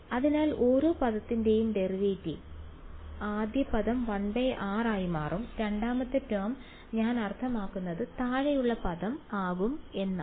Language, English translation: Malayalam, So, derivative of each term so first term will become 1 by r; second term will I mean the term in the bottom will become minus 2 by